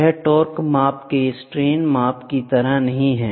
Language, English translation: Hindi, It is not like strain measurement of torque measurement